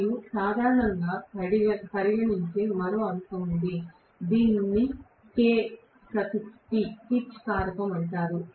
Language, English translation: Telugu, There is one more factor which we normally considered, which is known as Kp, pitch factor